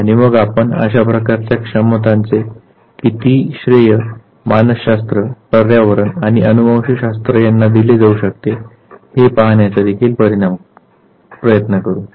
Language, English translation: Marathi, And then try to see how much of credit for this type of inability can be given to either psychology, the environment or the genetics